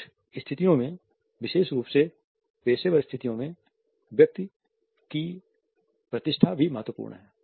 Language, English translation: Hindi, In certain scenarios particularly in professional situations one status is also important